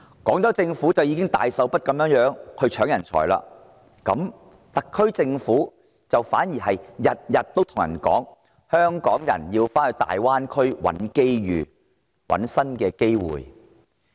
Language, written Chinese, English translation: Cantonese, 廣州市政府斥巨資搶奪人才之際，特區政府反而天天告訴大家，香港人要到大灣區尋找新機會。, At a time when the Guangzhou Municipal Government is spending a colossal sum of money in the battle for talent the SAR Government in contrast is telling us every day that Hong Kong people should look for new opportunities in the Greater Bay Area